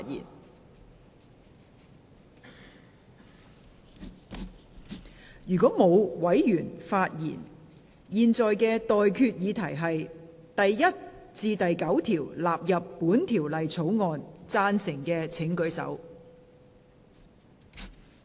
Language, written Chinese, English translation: Cantonese, 我現在向各位提出的待決議題是：第1至9條納入本條例草案。, I now put the question to you and that is That clauses 1 to 9 stand part of the Bill